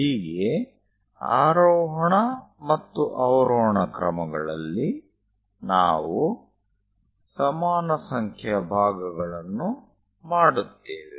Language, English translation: Kannada, So, in the ascending order and descending order, we make equal number of parts